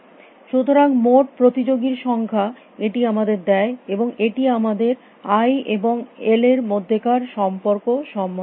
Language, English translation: Bengali, So, the total number of competitors is given by this and this gives us a relationship between i and l